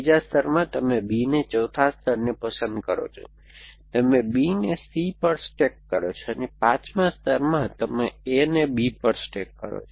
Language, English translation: Gujarati, In the third layer, you pick up B and the fourth layer, you stack B on to C and fifth layer you stack A on to B